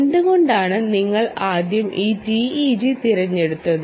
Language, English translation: Malayalam, why did you choose this ah teg in the first place